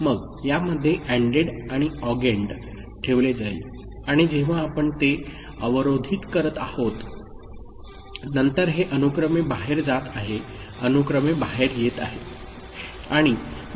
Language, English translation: Marathi, So, in this the addend and augend they are put and when you are clocking it then this is going serially out, coming serially out